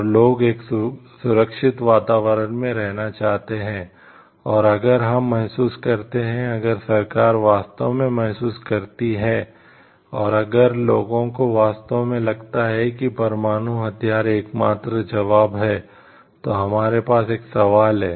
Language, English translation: Hindi, And the public want to live a safe environment, live in a safe environment and if we feel, if the government truly feels and if the people truely feel like the nuclear weapon is the only answer, then we have to ask a question have it try it for other alternatives yes or no